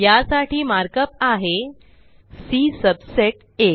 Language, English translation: Marathi, The mark up for this is C subset A